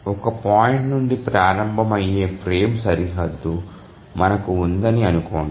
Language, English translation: Telugu, Let's say we have this frame boundary starting at this point